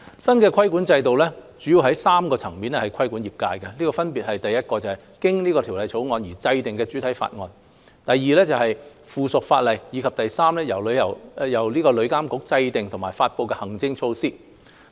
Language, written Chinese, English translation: Cantonese, 新規管制度主要在3個層面規管業界，分別是1經《條例草案》而制訂的主體法例 ；2 附屬法例；以及3由旅監局制訂和發布的行政措施。, The new regulatory regime will regulate the industry from three aspects namely 1 enacting primary legislation by means of the Bill; 2 enacting subsidiary legislation; and 3 introducing administrative measures to be formulated and issued by TIA